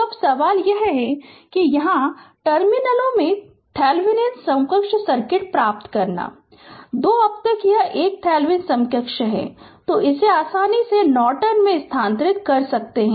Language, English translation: Hindi, So, now question is that here you have to obtain the Thevenin equivalent circuit in terminals 1 2 of the now it is a Thevenin equivalent is given from that you can easily transfer it to Norton